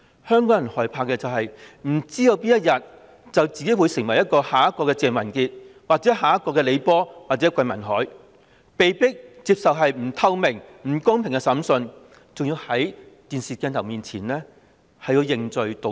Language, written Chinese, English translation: Cantonese, 香港人害怕的是不知道自己哪天會成為下一個鄭文傑、李波或桂民海，被迫接受不透明、不公平的審訊，還要在電視鏡頭前認罪和道歉。, What Hong Kong people fear is that they do not know when they will become the next Simon CHENG LEE Po and GUI Minhai forced to accept opaque and unfair trials and then made to admit their crimes and make apologies in front of television cameras